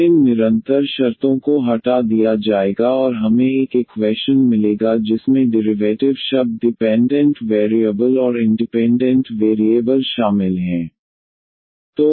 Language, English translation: Hindi, Then these this constant terms will be removed and we will get an equation which contains the derivative terms dependent variables and independent variables